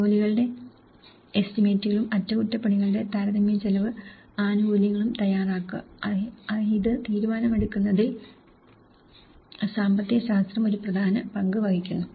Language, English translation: Malayalam, Then preparing estimates of works and comparative cost benefit of repair, this is the economics plays an important role in making a decision making